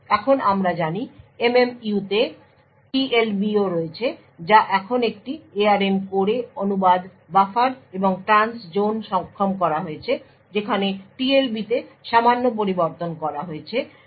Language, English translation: Bengali, Now the MMU as we know also comprises of TLB which is the translation look aside buffer now in an ARM core which has Trustzone enabled in it the TLB is modified slightly